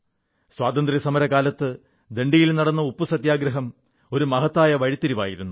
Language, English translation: Malayalam, In our Freedom struggle, the salt satyagrah at Dandi was an important turning point